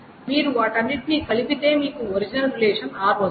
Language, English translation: Telugu, And if you join all of them together, then you get what is known the original relation R